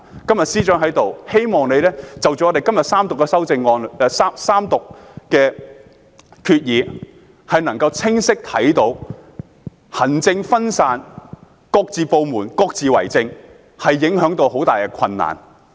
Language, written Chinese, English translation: Cantonese, 今天司長在席，希望你能夠從這次三讀，清晰地看到行政分散、各部門各自為政造成的極大困難。, As the Chief Secretary for Administration is present today I hope that he will clearly see through the Third Reading the great difficulties arising from a lack of coordination among government departments